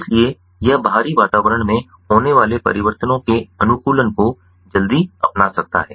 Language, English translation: Hindi, hence it can quickly adopt, sorry, adapt to the changes in the external environments